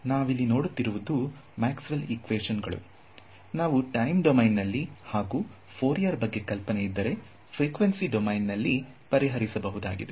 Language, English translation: Kannada, So, now, there are looking at the equations of Maxwell, you could solve them in let us say either the time domain or if you use Fourier ideas, you could solve them in the frequency domain ok